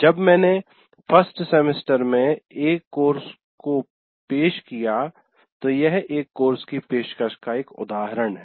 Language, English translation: Hindi, When I offered a course, let's say in one semester, it is one instance of offering a course